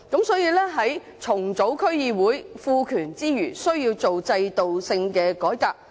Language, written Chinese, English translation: Cantonese, 所以，在重組區議會，賦權之餘，需要做制度性的改革。, Therefore in restructuring DCs other than the conferment of powers on DC members an institutional reform is in order